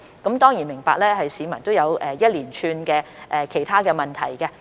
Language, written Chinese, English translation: Cantonese, 我當然明白市民會有一連串其他問題。, We certainly understand that people may have a series of other queries